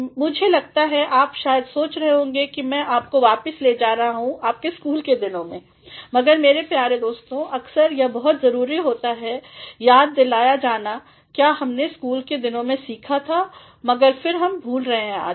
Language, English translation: Hindi, I think you might be thinking that I am taking you back to your school days, but my dear friends at times it becomes very important to be reminded of what we learnt in our school days, but then we are forgetting nowadays